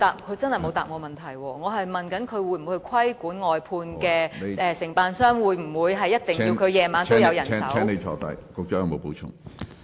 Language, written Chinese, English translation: Cantonese, 我問局長會否規管外判承辦商，會否規定晚上必須有人手進行清潔工作。, I ask the Secretary whether he will monitor outsourced cleansing contractors and require them to arrange cleansing workers to work at night